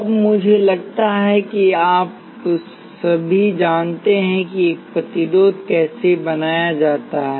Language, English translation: Hindi, Now, I think again all of you know how a resistor is made